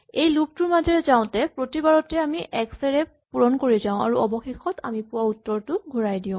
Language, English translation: Assamese, Each time we go through this loop we multiply one more x and finally we return the answer that we have got